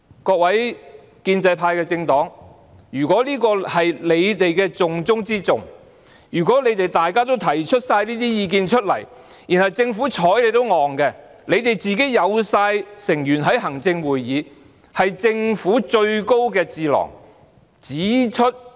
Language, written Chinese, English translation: Cantonese, 各位建制派政黨的議員，如果這是你們重中之重的工作，如果大家已經提出這些意見，政府卻完全"睬你都戇"，你們全部也有自己的成員在行政會議中，那是政府最高的智囊。, Members from the pro - establishment political parties if you consider this the most important job and if after you have put forward these views the Government simply turns its back on you―you all have your own people sitting on the Executive Council the highest think tank of the Government―and when you have pointed out this problem the Government nevertheless continues to engage in empty talk but no action saying What can you do about me?